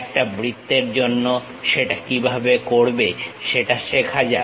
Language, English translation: Bengali, How to do that for a circle let us learn that